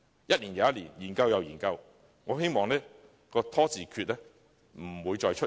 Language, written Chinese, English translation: Cantonese, 一年又一年，研究又研究，我希望"拖字訣"不會再出現。, Year after year there have been studies after studies . I hope that the stalling tactic will never be seen again